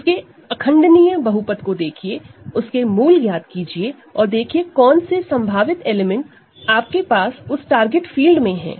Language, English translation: Hindi, Look at its irreducible polynomial, find out its roots and see what are the possible elements that you have in the target field